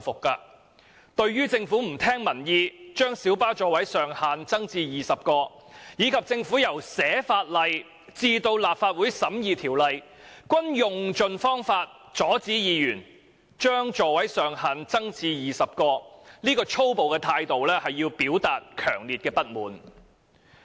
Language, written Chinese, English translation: Cantonese, 大家對於政府不聽民意將小巴座位上限增至20個，而且由撰寫《條例草案》至立法會審議《條例草案》期間，一直用盡方法阻止議員將座位上限增至20個的粗暴態度，均表達強烈不滿。, Members have expressed strong dissatisfaction with the Governments refusal to pay heed to public views to increase the maximum seating capacity of light buses to 20 and its violent means of trying to stop Members from increasing the maximum seating capacity to 20 during the process from drafting the Bill to scrutinizing the Bill by the Legislative Council